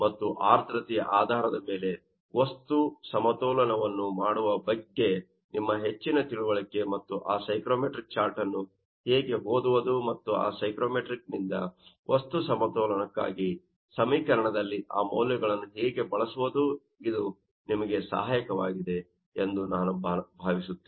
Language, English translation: Kannada, And I think it would be helpful for you for your further understanding of doing the material balance based on the humidity and also it will be helpful how to read that psychometric chart and from that psychometric chart, how to use those values for the material balance equation thank you